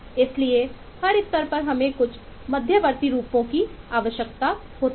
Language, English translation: Hindi, so at every stage we need to have certain intermediate forms